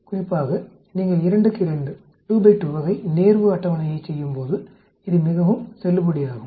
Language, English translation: Tamil, Especially it is very valid when you are doing a 2 by 2 type of contingency table